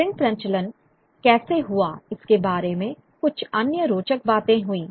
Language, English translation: Hindi, The other some other interesting points about how print circulation took place